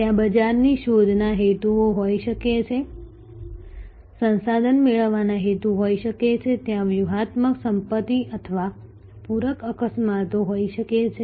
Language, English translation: Gujarati, There can be market seeking motives, there can be resource seeking motives, there can be strategic asset or complementary asset seeking motives